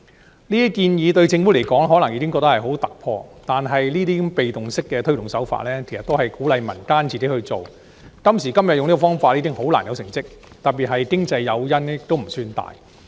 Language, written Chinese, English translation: Cantonese, 政府可能覺得這些建議已經十分突破，但如此被動的推動方式，其實只是鼓勵民間自行去做，今時今日以這種方法推行，將難以取得成績，特別是經濟誘因並不算大。, While the Government may consider such a proposal highly groundbreaking implementing the initiative in such a passive manner is essentially no different from encouraging the community to take matters into their own hands . As this day and age such a manner of implementation can hardly be a recipe for success especially when there is not much economic incentive on offer